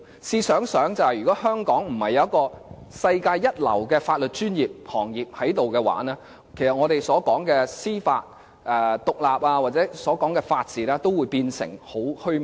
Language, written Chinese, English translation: Cantonese, 試想想，如果香港並非有世界一流的法律專業行業，其實我們所說的司法獨立或法治均會變成很虛幻。, Let us imagine if Hong Kong does not have a world - class legal profession what we called judicial independence or the rule of law will become illusory